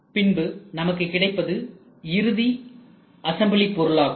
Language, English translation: Tamil, And then what you get is a final assembly of parts